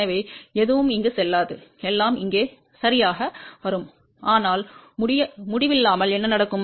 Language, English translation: Tamil, So, nothing will go here; everything will come over here ok, but at infinity what will happen